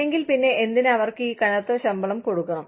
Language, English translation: Malayalam, If not, then, why should they be paid, these heavy salaries